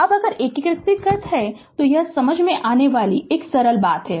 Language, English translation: Hindi, Now, if you integrate if you this is understandable simple thing